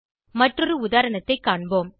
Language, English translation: Tamil, Lets us see an another example